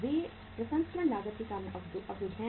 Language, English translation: Hindi, They are blocked on account of processing cost